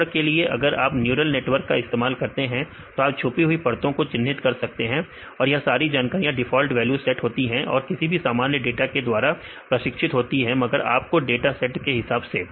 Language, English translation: Hindi, For example, if you use a neural networks you can assign your hidden layers; so all these information they set to default value trained with some normal data, but with respect your dataset